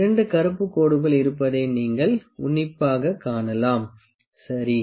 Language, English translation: Tamil, You can see closely that there 2 black lines, ok